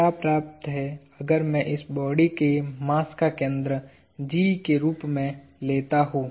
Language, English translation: Hindi, What is sufficient is if I take the center of mass of this body as G